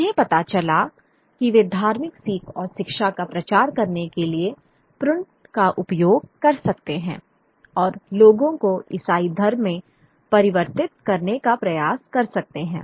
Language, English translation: Hindi, They figured out that they would use print in order to propagate religious learning and education and try to convert people into Christianity